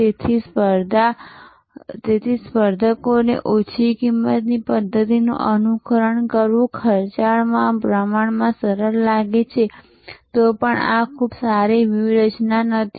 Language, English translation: Gujarati, So, if competitors find it relatively easier in expensive to imitate the leaders low cost method, then also this is not a very good strategy